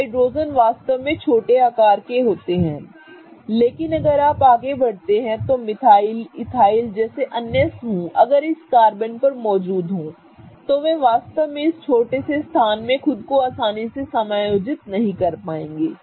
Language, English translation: Hindi, So, hydrogens are really small size but if you want to go further like a methyl group, ethyl group, any other group that is present on these carbons, they are really not going to find it easy to accommodate themselves into this small space